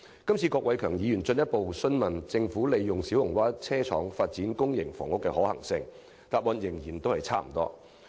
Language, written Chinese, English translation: Cantonese, 這次郭偉强議員進一步問及利用小蠔灣車廠發展公營房屋的可行性，但局長答覆仍然是差不多。, In his question raised today Mr KWOK Wai - keung has asked further about the feasibility of using the Siu Ho Wan Depot Site for public housing development but the reply given by the Secretary is more or less the same